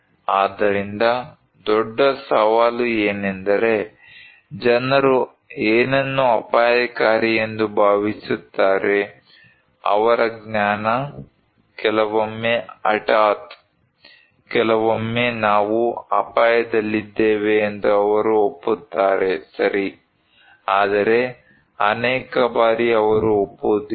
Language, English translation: Kannada, So the big challenge is that, what people think what is risky their knowledge, sometimes sudden, sometimes they agree that okay we are at risk but many times they do not agree is very uncertain